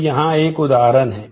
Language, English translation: Hindi, So, here is one example